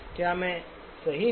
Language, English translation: Hindi, Am I right